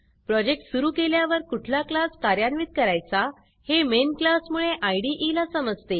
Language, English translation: Marathi, When you set the Main class, the IDE knows which class to run when you run the project